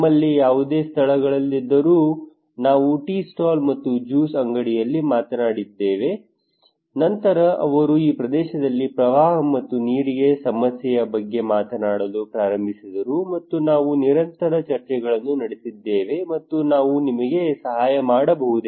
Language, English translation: Kannada, We have chat over on tea stall and juice shop wherever whatever places we have, then they started talk about the flood and waterlogging problem in this area and we had continuous discussions and we said can we help you